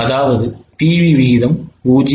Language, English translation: Tamil, So, PVR is 0